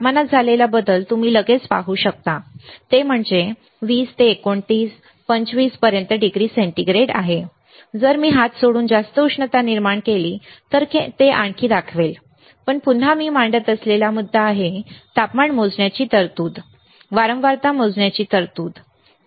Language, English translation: Marathi, You can immediately see the change in the in the temperature, that is degree centigrade right from 20 to 80 and to 29, 25 if I generate more heat by rubbing the hand it will even show more, but again the point that I am making is there is a provision of measuring a temperature, there is a provision of measuring frequency